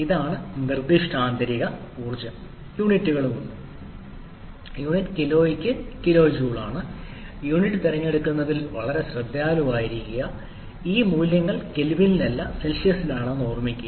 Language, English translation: Malayalam, This is the specific internal energy and also units are also there units is kilo joule per kg be very careful about choosing the unit and remember these values are in Celsius not in kelvin